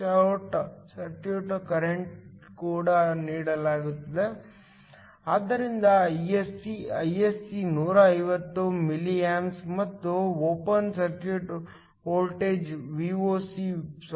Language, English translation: Kannada, The short circuit current is also given, so Isc, Isc is 150 milliamps, and also the open circuit voltage Voc is 0